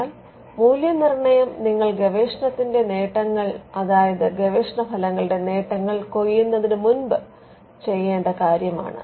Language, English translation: Malayalam, Now, the evaluation is again it is something that has to be done before you actually reap the benefits of the research; benefits of the research results